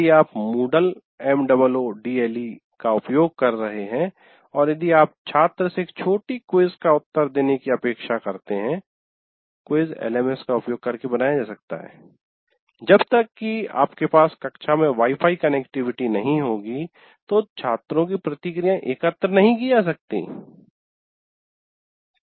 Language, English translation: Hindi, If you are using Moodle and if you expect student to answer a small quiz, well, quiz can be created using LMS but the student's response also, unless you have a Wi Fi connectivity in the class, one cannot do